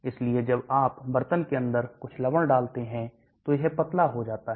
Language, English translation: Hindi, So when you drop some salt inside the pot it gets diluted